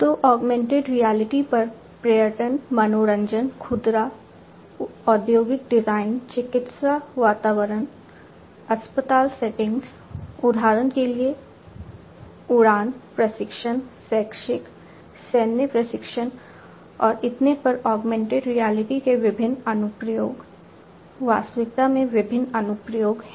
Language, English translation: Hindi, So, different applications of augmented reality in tourism, entertainment, retail, industrial design, medical environments, hospital settings, for instance, flight training, educational, military training and so, on augmented reality; reality has different applications